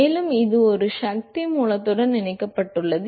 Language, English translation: Tamil, And it is connected to a power source